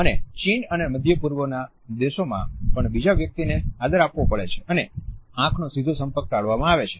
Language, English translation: Gujarati, In China as well as in Middle East a one has to pay respect to the other person, the eye contact is normally avoided